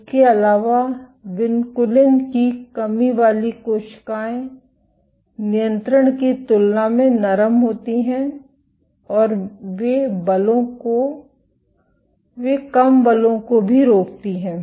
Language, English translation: Hindi, Also vinculin deficient cells are softer compared to controls and they also exert lesser forces